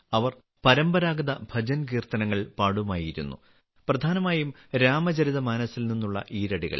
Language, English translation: Malayalam, They used to sing traditional bhajankirtans, mainly couplets from the Ramcharitmanas